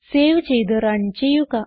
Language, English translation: Malayalam, Save it Run